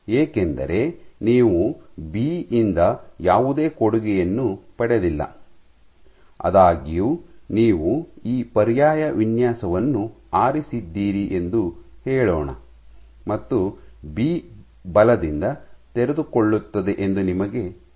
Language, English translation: Kannada, Because you have not gotten any contribution from B; however, let us say you have chosen this alternate design and you know that B unfolds under force ok